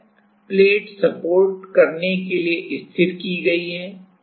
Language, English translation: Hindi, So, this plate is fixed at this to support